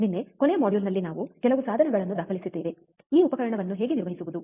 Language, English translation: Kannada, Yesterday, in the last module actually we have recorded few of the equipment, right how to operate this equipment